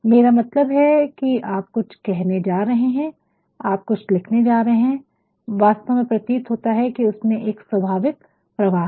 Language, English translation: Hindi, I mean you are going to say something you are going to write something and it actually appears to be a sort ofnatural flow know so, fluency